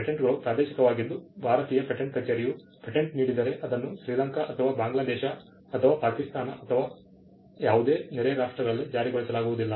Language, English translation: Kannada, Patents are territorial, in the sense that if the Indian patent office grants a patent, it is not enforceable in Sri Lanka or Bangladesh or Pakistan or any of the neighboring countries